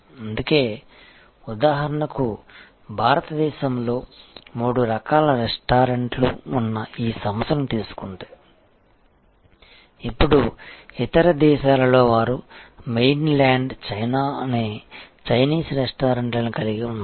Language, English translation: Telugu, And that is why in a, say for example, if we take this organization, which has three different types of restaurants across India and perhaps, now in other countries they have a chain of Chinese restaurants called Mainland China